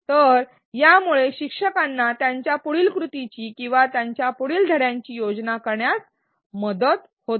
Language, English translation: Marathi, So, this helps instructors plan their next action or their next lesson